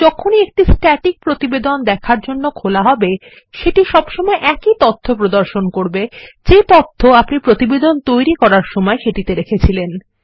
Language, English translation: Bengali, Whenever a Static report is opened for viewing, it will always display the same data which was there at the time the report was created